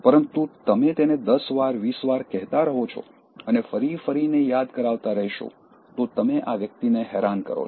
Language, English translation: Gujarati, But you keep on telling it 10 times, 20 times and you keep on reminding again and again to the extent that you annoy this person